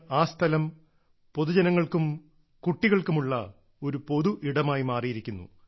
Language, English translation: Malayalam, Today that place has become a community spot for people, for children